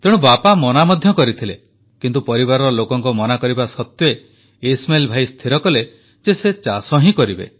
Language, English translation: Odia, Hence the father dissuaded…yet despite family members discouraging, Ismail Bhai decided that he would certainly take up farming